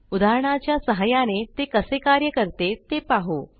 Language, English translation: Marathi, So let us see how they work through an example